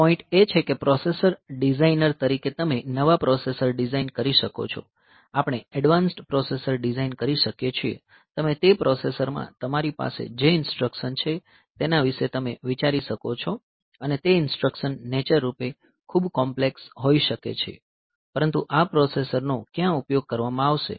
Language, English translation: Gujarati, So, you can design new processors, we can design advanced processors, you can think about the instructions that you have in that processor and those instructions may be very complex in nature, but where is this processor going to be utilized